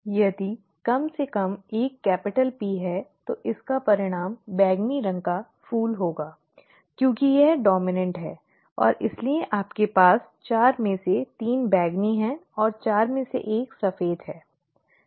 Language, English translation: Hindi, If atleast one is a capital P, then it will result in a purple flower because it is dominant, and therefore you have three out of four being purple and one out of four being white, okay